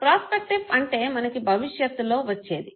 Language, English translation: Telugu, Prospective, something which is about to come